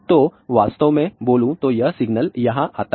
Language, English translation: Hindi, So, then this signal actually speaking comes here